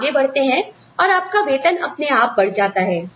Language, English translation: Hindi, You move ahead, and your salary, automatically increases